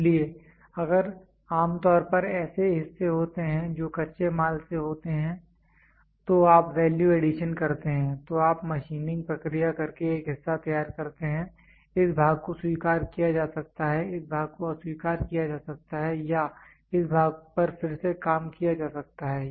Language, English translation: Hindi, So, if there is parts generally what happens from a raw material you do value addition, you do machining process produced a part; this part can be accepted, the part can be rejected or the part can be reworked